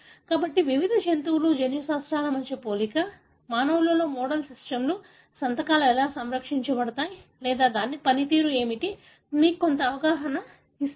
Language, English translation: Telugu, So, this comparison between the genome sequences of various animals, model systems with human, gives you some understanding as to how the signatures are possibly conserved or what could be the function of this